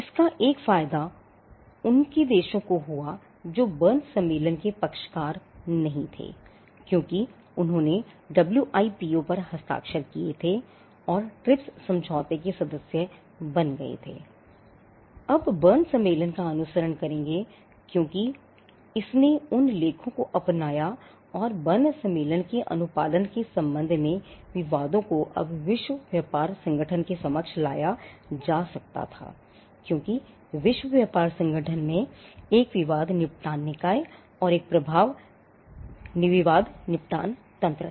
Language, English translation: Hindi, One advantage of this was their countries which were not parties to the Berne convention because they had signed the WTO and became members of the TRIPS agreement would now be following the Berne convention because it adopted those articles and also disputes with regard to compliance of Berne convention could now be brought before the WTO because the WTO had a dispute settlement body and it had an effective dispute settlement mechanism